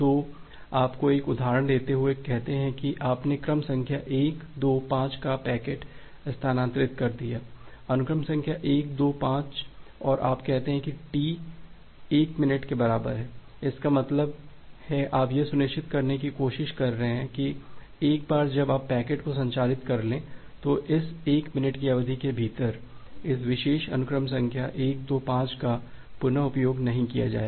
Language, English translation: Hindi, So, just giving you an one example say you have transferred the packet of say sequence number 1 2 5, sequence number 125 and you say T equal to 1 minute; that means, you are trying to ensure that once you have transmitted packet, with say sequence number 125 within this 1 minute duration, this particular sequence number 125 is not going to be reused